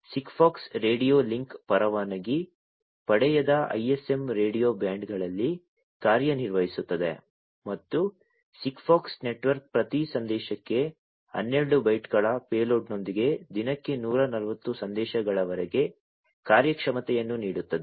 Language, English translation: Kannada, SIGFOX radio link operates in the unlicensed ISM radio bands and the SIGFOX network gives a performance of up to 140 messages per day, with a payload of 12 bytes per message